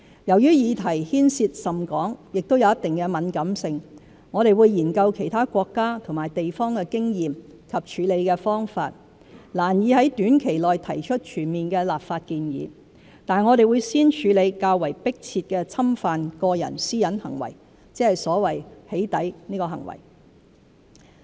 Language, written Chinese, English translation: Cantonese, 由於議題牽涉甚廣，也有一定的敏感性，我們會研究其他國家和地方的經驗和處理方法，難以在短期內提出全面的立法建議，但我們會先處理較為迫切的侵犯個人私隱行為，即所謂"起底"行為。, Since this encompasses a wide spectrum of issues involving some degree of sensitivity we will study the experiences and practices of other countries and places . It is therefore difficult to put forward a comprehensive legislative proposal in a short period of time . However we will handle the more pressing problem of intrusion of privacy or doxxing